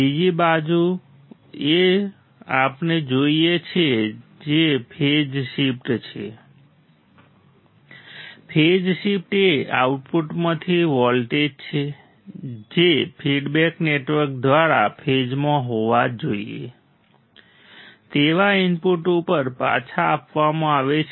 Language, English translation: Gujarati, Second thing what we have seen is the phase shift; the phase shift is the voltage from the output which is fed through the feedback network back to the input that should be in phase